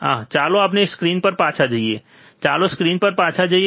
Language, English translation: Gujarati, Ah so, let us go back to the screen, let us go back to the screen